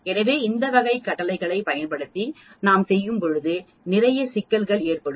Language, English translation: Tamil, So we will lot of problems as we go along using this type of command